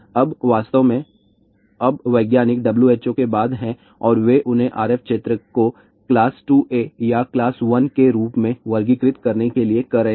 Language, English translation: Hindi, Now in fact, now scientists are after W H O and they are telling them to classify RF field as class 2 A or even class 1